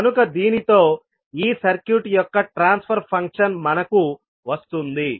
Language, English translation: Telugu, So, with this we get the transfer function of this circuit